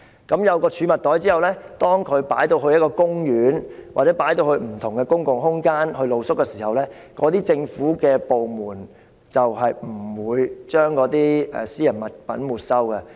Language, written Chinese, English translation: Cantonese, 有了這儲物袋後，當他們在公園或不同的公共空間露宿時，他們的私人物品便不會被政府部門沒收。, With the storage bags they will not have their personal possessions confiscated by any government department when they sleep rough in parks or different public space